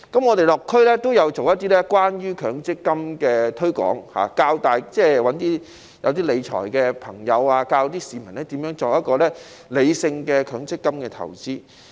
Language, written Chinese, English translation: Cantonese, 我們落區也有做一些關於強積金的推廣，找一些熟識理財的人士教市民如何作出理性的強積金投資。, We have also done some publicity work on MPF in the local communities by asking people who are familiar with financial management to teach the public how to make rational MPF investments